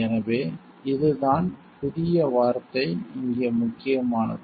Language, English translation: Tamil, So, this is what this the word new is important over here